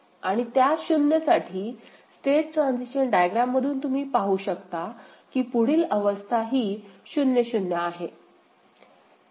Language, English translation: Marathi, And in that case for 0, next state is what 0 0 only from the state transition diagram, you can see 0 0 right ok